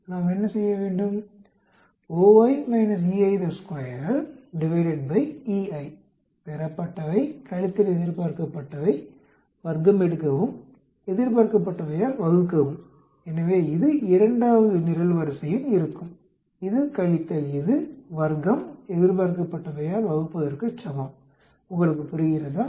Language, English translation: Tamil, What do we have to do, observed minus expected, square it divided by expected, so this is equal to this minus this square divided by expected is the second column, do you understand